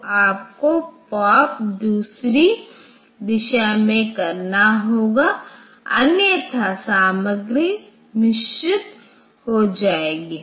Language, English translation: Hindi, So, you have to POP in the other direction otherwise the contents will be mixed up